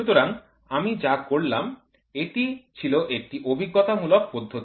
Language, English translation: Bengali, So, what I did was this an empirical method